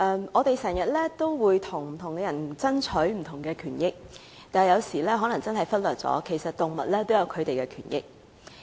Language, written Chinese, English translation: Cantonese, 我們經常為不同人士爭取權益，但我們有時可能忽略了動物也有權益。, We often fight for the rights of different people but sometimes we may ignore that animals also have rights